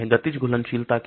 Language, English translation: Hindi, What is this kinetic solubility